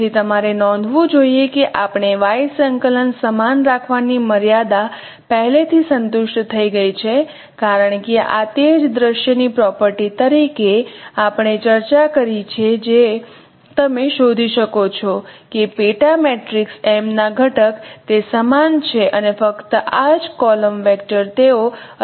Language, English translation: Gujarati, 338 in left and right cameras so you should note that we have already satisfied that constraint of keeping the y coordinate same because that is what we discussed as a property of this particular scenario you you can find out that the the component of sub matrix m they remain the same and only this column vector they are different